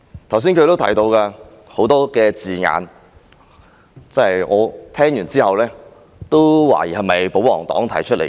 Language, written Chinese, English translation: Cantonese, 他剛才也提到很多字眼，我聽到也不禁懷疑這是否出自保皇黨議員的口。, Just now he used a lot of words and on hearing them I could not but doubt whether they came from a pro - establishment Member